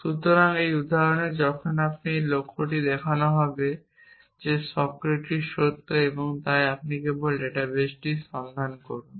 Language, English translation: Bengali, So, in this example, when you have this goal of show that that man Socrates is true then you simply look up the database